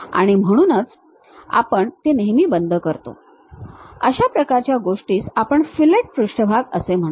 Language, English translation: Marathi, So, we always round it off, such kind of things what we call fillet surfaces